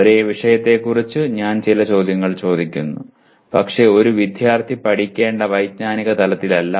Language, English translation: Malayalam, I ask some questions about the same topic but not at the level, cognitive level that a student is required to learn